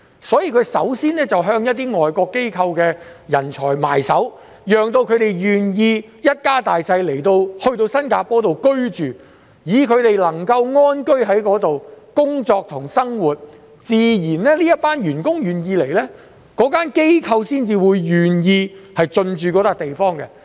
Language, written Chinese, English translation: Cantonese, 所以，它們首先便向一些外國機構的人才着手，讓他們願意一家大小來到新加坡居住，讓他們能夠在此安居、工作及生活，當這些員工願意來工作，機構自然便會願意進駐這個地方。, They started by attracting the employees of foreign firms so that these people are willing to bring their families to stay and live in Singapore . As these people are pleased and willing to work and live in Singapore their firms will naturally establish a presence there